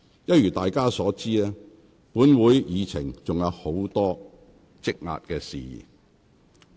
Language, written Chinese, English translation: Cantonese, 一如大家所知，本會議程上仍有許多事項積壓，有待處理。, As we all know there are still many outstanding items on the agenda of this Council